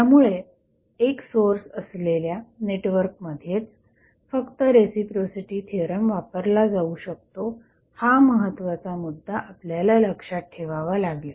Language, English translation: Marathi, So, important factor to keep in mind is that the reciprocity theorem is applicable only to a single source network